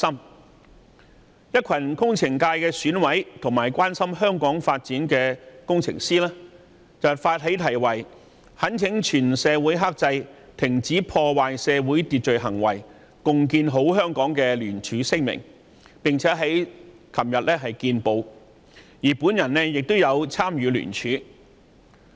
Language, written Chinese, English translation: Cantonese, 為此，一群工程界選委和關心香港發展的工程師發起題為"懇請全社會克制、停止破壞社會秩序行為、共建好香港"的聯署行動，有關聲明已於昨天登報，我亦有參與聯署。, A group of Election Committee members from the Engineering Subsector and engineers who care about the development of Hong Kong have therefore initiated a signature campaign to urge the entire society to restrain stop disrupting social order and build a better Hong Kong together . Their statement was published in newspapers yesterday and I was one of the signatories